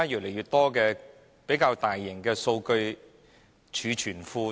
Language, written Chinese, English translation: Cantonese, 那較大型的數據儲存庫呢？, How about large data repositories?